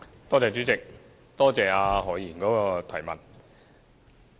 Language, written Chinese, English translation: Cantonese, 代理主席，多謝何議員的補充質詢。, Deputy President I thank Dr HO for the supplementary question